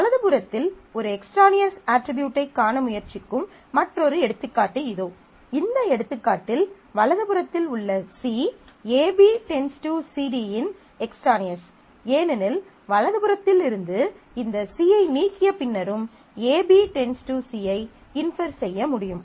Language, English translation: Tamil, Another example where you are trying to see an extraneous attribute on the right hand side; so in this example, C on the right hand side of the set AB determining CD is extraneous because it can be inferred even after because AB determining C can be inferred even after deleting this C from the right hand side